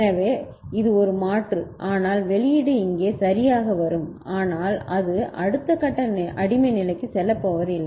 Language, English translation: Tamil, So, because of which this is a toggle, but the output will come over here ok, but it will not be going to the next stage slave stage